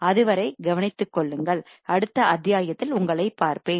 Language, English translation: Tamil, Till then take care, I will see you in the next module, bye